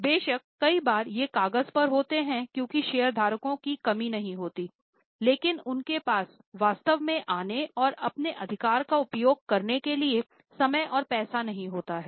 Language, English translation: Hindi, Of course, many times these are on paper because lacks of shareholders are there but they don't have time and money to actually come and exercise their right